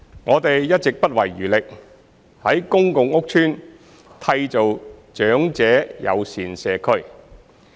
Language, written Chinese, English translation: Cantonese, 我們一直不遺餘力在公共屋邨締造長者友善社區。, We have always spared no effort in creating elderly - friendly communities in public housing estates